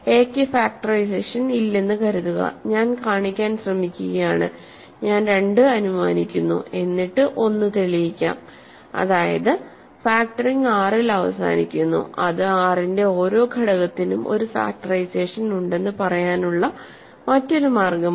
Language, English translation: Malayalam, Suppose that a has no factorization, I am trying to show one right I am assuming two and I am trying to show one which is that factoring terminates in R, which is another way of saying that every element of R has a factorization